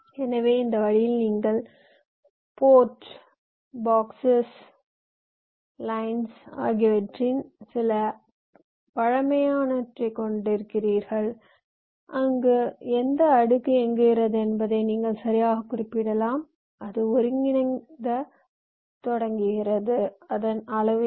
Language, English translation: Tamil, so in this way you have some primitives for the ports, the boxes, lines, everything where you can exactly specify which layer it is running on, what is it starting coordinate and what is it size